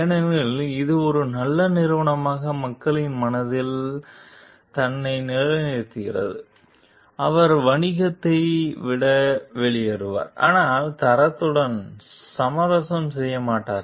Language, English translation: Tamil, So, because it establishes itself in the mind of people as a good company who is who will rather leave the business, but not compromise with the quality